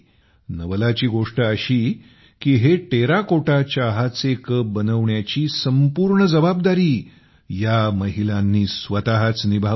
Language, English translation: Marathi, The amazing thing is that these women themselves took up the entire responsibility of making the Terracotta Tea Cups